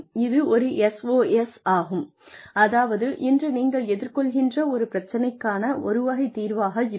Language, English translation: Tamil, That is a SOS, a sort of solution to a problem, that you may be facing today, that you may not face tomorrow